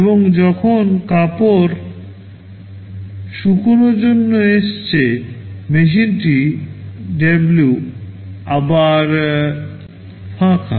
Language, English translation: Bengali, And when cloth 1 has come for drying, machine W is free again